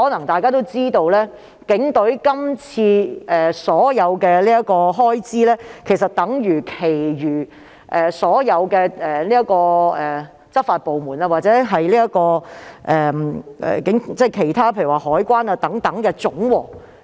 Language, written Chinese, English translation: Cantonese, 大家或許也知道，警隊今次的開支總額相等於所有執法部門如海關或其他部門的總和。, Members may also learn that the total expenditure of the Police this time is equivalent to the sum of the expenditures of all law enforcing departments such as the Customs and Excise Department or other departments